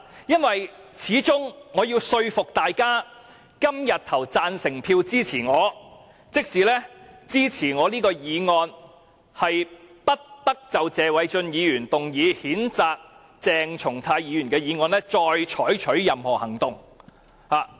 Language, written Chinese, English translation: Cantonese, 畢竟我要說服大家今天投下贊成票，支持我提出的議案，就是"不得就謝偉俊議員動議的譴責議案再採取任何行動"。, After all I have to persuade Members to vote for the motion proposed by me today that is no further action shall be taken on the censure motion moved by Mr Paul TSE